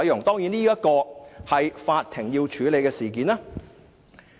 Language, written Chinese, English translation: Cantonese, "當然，這件是法庭要處理的事件。, And this is certainly something the court needs to deal with